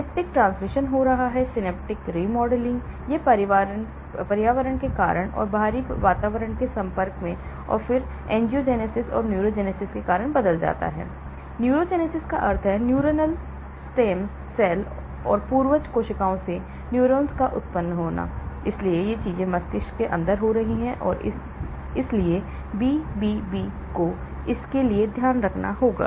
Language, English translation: Hindi, There is synaptic transmission taking place, synaptic remodelling; it gets changed because of the environment and because of the exposure to the external environment and then angiogenesis and neurogenesis; there is neurogenesis means neurons are generated from neural stem cells and progenitor cells, so these things are happening inside the brain and so BBB has to take care of for this